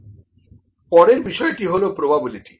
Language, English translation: Bengali, So, next is the probability